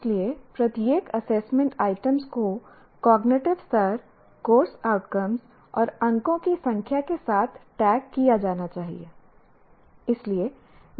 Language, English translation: Hindi, So every assessment item should be tagged with cognitive level and the course outcome and the number of marks